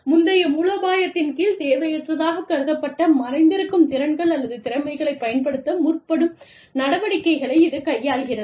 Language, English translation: Tamil, Competence utilization deals with activities, that seek to utilize latent skills, or skills that had been deemed unnecessary, under a previous strategy